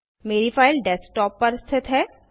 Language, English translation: Hindi, My file is located on the Desktop